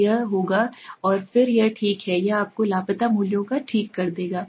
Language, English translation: Hindi, So it will and then it okay, it will give you the missing values okay